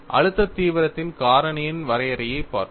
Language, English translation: Tamil, We have looked at the definition of a stress intensity factor